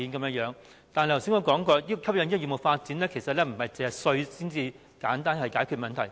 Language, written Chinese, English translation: Cantonese, 不過，要促進業務發展並不能只靠改變稅制，便能簡單解決問題。, That said we cannot simply resolve the problems by changing the tax regime in a bid to promote business development